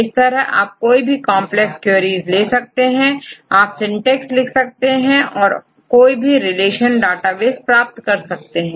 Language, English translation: Hindi, So, you can go to any complex queries, you can write syntax and you can get from any relation database fine